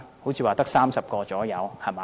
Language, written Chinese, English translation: Cantonese, 好像只有30人左右，對嗎？, It seems that only 30 people will be deployed right?